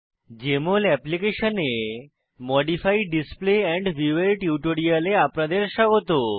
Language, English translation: Bengali, Welcome to this tutorial on Modify Display and View in Jmol Application